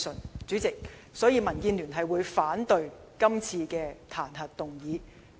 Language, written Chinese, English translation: Cantonese, 因此，主席，民建聯反對這次彈劾議案。, Therefore President DAB opposes todays impeachment motion